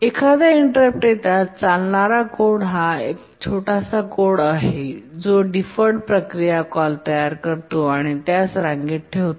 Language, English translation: Marathi, Therefore, as soon as the interrupt occurs, the code that runs is a very small code that creates the deferred procedure call and queues it up